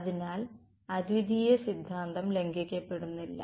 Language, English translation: Malayalam, So, uniqueness theorem does not get violated